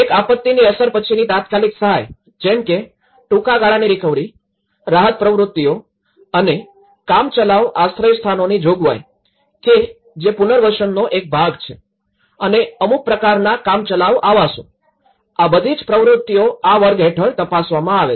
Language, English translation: Gujarati, One is the emergency aid, immediately after the effect of disaster like, it could involve short term recovery, the relief activities and the provision of temporary shelters which is a part of the rehabilitation and also some kind of temporary housing, these are the activities which looked into under this category